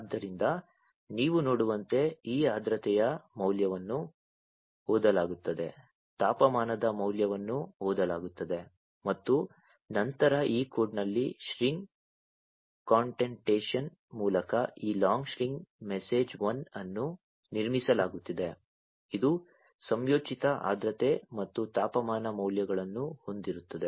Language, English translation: Kannada, So, as you can see this humidity value is being read, the temperature value is being read, and then through string concatenation in this code this long string msg 1 is being built, which will have the concatenated humidity and temperature values